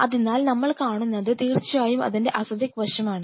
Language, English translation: Malayalam, So, what we will observe is and this is the of course, the acidic side